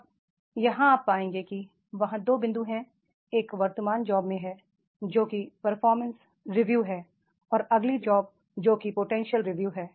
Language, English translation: Hindi, Now here you will find there are two points are there in the one is in the present job that is the performance review and the next job you will find that is the potential review